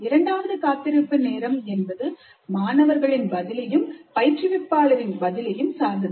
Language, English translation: Tamil, And there is another wait time between the students' response and the teacher's response